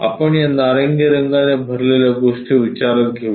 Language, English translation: Marathi, Let us consider, let us consider this entirely filled by this orange one ok